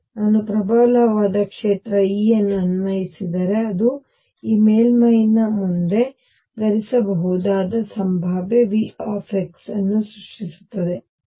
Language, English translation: Kannada, If I apply a strong field e it creates a potential V x wearing in front of this surface